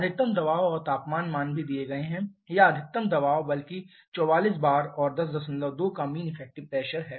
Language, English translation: Hindi, The maximum pressure and temperature values are also given or maximum pressure rather 44 bar and 10